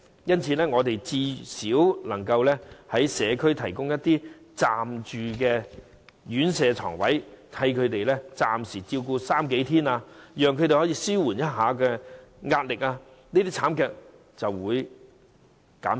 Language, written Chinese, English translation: Cantonese, 因此，當局最少可以在社區提供一些暫住院舍床位，為他們暫時照顧長者三數天，稍稍紓緩他們的壓力，這些慘劇便會減少。, Hence the authorities may at least provide some residential places for temporary stay in the community for caring of the elderly for a few days so that the pressure on carers may be alleviated slightly thereby reducing the incidence of such tragedies